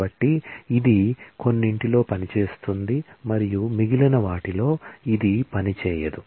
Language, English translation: Telugu, And so, it works in some and it does not work in the rest